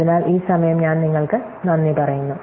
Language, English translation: Malayalam, So, I thank you all of this time